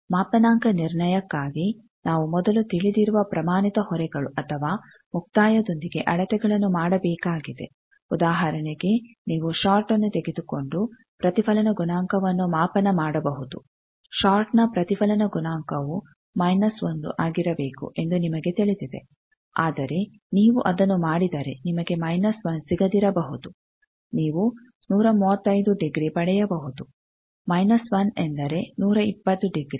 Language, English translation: Kannada, Calibration has three parts, part to remove those systematic errors, for calibration we need to first perform measurements with known standard loads or termination, for example, you can take a short and measure reflection coefficient, you know for a short reflection coefficient should be minus 1, but if you do it you may not get minus 1, you may get 135 degree minus 1 means 120 degree, but you get